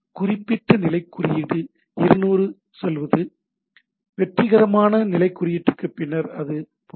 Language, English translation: Tamil, So, particular status code like say 200 is OK, for successful type of status code and then like that